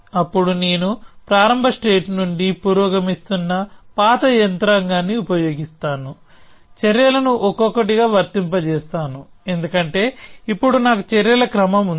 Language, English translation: Telugu, And then I will just use the old mechanism of progressing from the start state, applying the actions one by one, because now I have sequence of actions